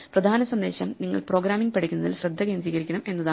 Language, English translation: Malayalam, So, the main message is that you should focus on learning programming